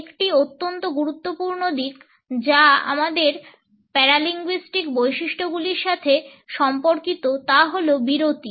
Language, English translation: Bengali, A very important aspect which is related with our paralinguistic features is pause